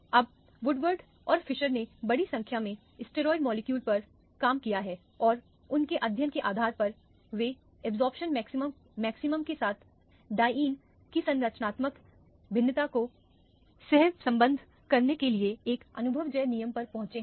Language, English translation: Hindi, Now Woodward and Fieser have worked on a large number of steroid molecules and based on their study, they have arrived at an empirical rule to correlate the structural variation of dienes with the absorption maximum